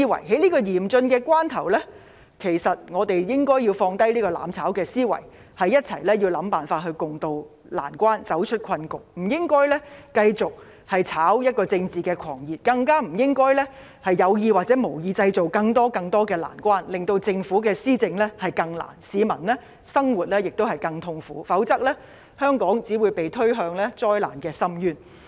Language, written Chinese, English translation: Cantonese, 在這麼嚴峻的關頭，其實我們應該放下"攬炒"思維，一起想辦法共渡難關，走出困局，不應該繼續"炒政治狂熱"，更不應該有意或無意製造更多、更多的難關，令政府的施政更困難，亦令市民的生活更痛苦，否則香港只會被推向災難的深淵。, At such a critical juncture in fact we should put that aside and try to work out a solution together to weather the storm and find a way out of the predicament . They should stop spreading political fanaticism and creating further obstacles intentionally or unintentionally . This will make policy implementation more difficult for the Government and lives more miserable for the people